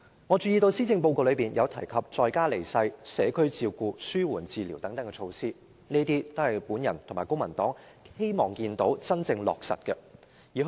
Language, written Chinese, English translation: Cantonese, 我注意到施政報告提及在家離世、社區照顧、紓緩治療等，這些都是我和公民黨希望看到能真正落實的措施。, I have noted that the Policy Address mentions dying in place community care palliative care etc . These are measures which the Civic Party and I hope can be genuinely implemented